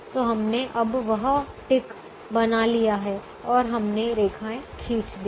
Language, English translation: Hindi, so we have now made that ticks and we have drawn the lines